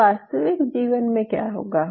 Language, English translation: Hindi, So, what will happen real life